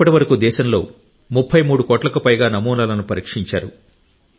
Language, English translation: Telugu, So far, more than 33 crore samples have been tested in the country